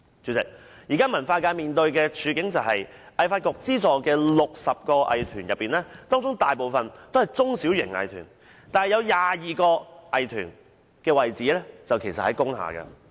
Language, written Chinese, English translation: Cantonese, 主席，現時文化界面對的處境是，香港藝術發展局資助的60個藝團之中，大部分也是中小型藝團，有22個藝團的地址位於工廈。, President at present of the 60 recipients of the Hong Kong Arts Development Council grants most are small and medium arts groups and 22 arts groups are operating in industrial buildings